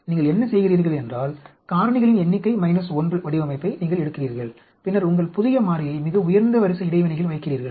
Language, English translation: Tamil, What you do is, you take a design which is number of factors minus 1 and then, you put your new variable in the highest order interaction